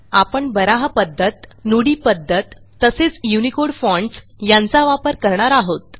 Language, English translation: Marathi, We will use Baraha method, the Nudi method and the UNICODE fonts